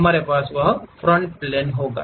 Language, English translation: Hindi, We will have that front plane